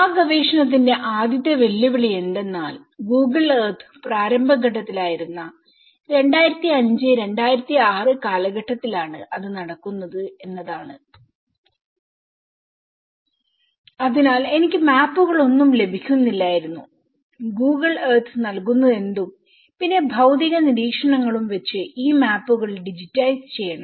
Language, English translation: Malayalam, The first challenge in that time of research we are talking about 2005 2006 where the Google Earth was just in the beginning stages and I was not getting any Maps, so I have to digitize these maps whatever the Google Earth have to give me and some physical observations